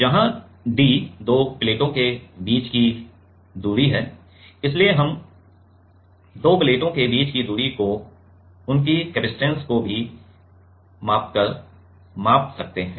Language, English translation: Hindi, Where d is the distance between the two plates and so, we can measure the distance between two plates by measuring their capacitance also